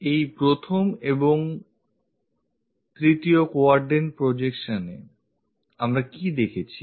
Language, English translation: Bengali, In these 1st and 3rd quadrant projections, what we have seen